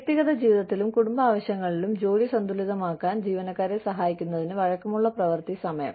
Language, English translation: Malayalam, Flexible working hours, to help employees, balance work in, personal lives and family needs